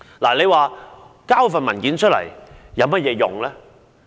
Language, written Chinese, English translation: Cantonese, 提交上述文件有何作用？, What is the purpose of producing the above mentioned documents?